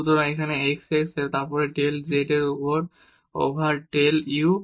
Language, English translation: Bengali, So, we get here the x x and then del z over del u